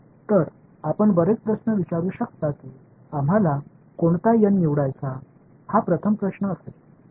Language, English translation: Marathi, So, this you can ask lots of questions how do we know what n to choose that would be the first question right